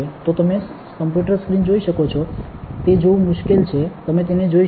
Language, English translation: Gujarati, So, you can see the computer screen, it is very difficult to see you can just see it